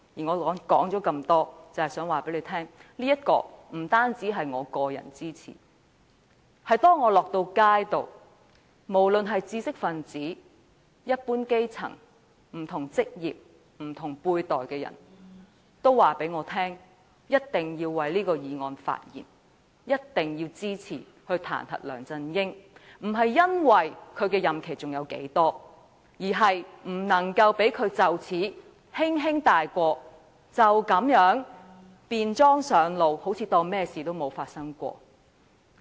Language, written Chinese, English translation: Cantonese, 我說了這麼多，無非想告訴大家，不單我個人支持，當我走在街上，無論是知識分子、一般基層、不同職業及不同輩的人均告訴我，一定要為這項議案發言，一定要支持彈劾梁振英，姑勿論他的任期還剩多少，都不能讓他就此輕輕開脫，就像甚麼都沒有發生過。, Having said that much I just want to tell everyone that not only I support the motion but many people on the streets be they intellectuals the grass roots and people from various walks of life and of different generations have told me that I have to speak on the motion and support the motion to impeach LEUNG Chun - ying no matter how many days have left in his tenure . We cannot let him off the hook so easily as if nothing had happened